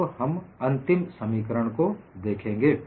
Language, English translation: Hindi, We will now look at the final expression